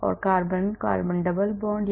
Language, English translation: Hindi, carbon carbon double bond